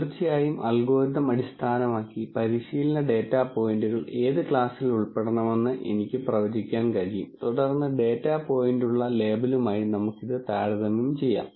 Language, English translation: Malayalam, Of course, based on the algorithm itself I can also predict for the train data points itself what class they should belong to and then maybe compare it with the label that the data point has and so on